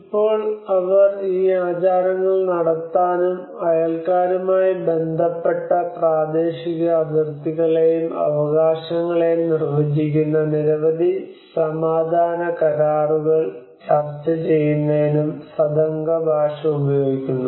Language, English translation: Malayalam, Now they also use the Sadanga language to conduct these rituals and to negotiate a numerous peace pacts which define the territorial boundaries and rights related to the neighbours